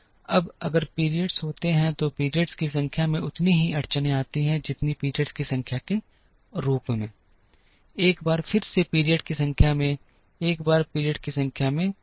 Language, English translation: Hindi, Now, if there are t periods, then there are as many constraints as the number of periods, as many constraints as the number of periods, once again number of periods, number of periods